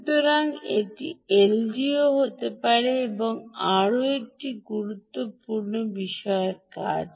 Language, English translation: Bengali, so this is another important thing that ldo can do